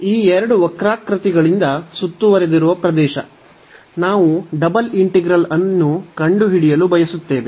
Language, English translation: Kannada, So, the area here enclosed by these two curves, we want to find using the double integral